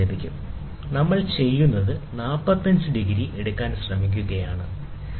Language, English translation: Malayalam, So, here what we do is we try to take 45 degrees, right